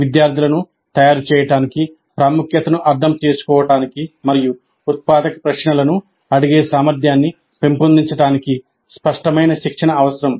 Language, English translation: Telugu, Explicit training is required to make the students understand the importance and develop the capability to ask the generative questions